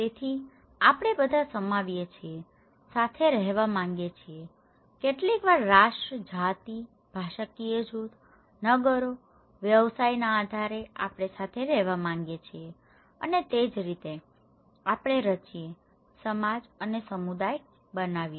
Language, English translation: Gujarati, So, we all comprise, want to live together, sometimes based on nation, race, linguistic groups, town, occupations, we want to live together and thatís how we form, create society and community okay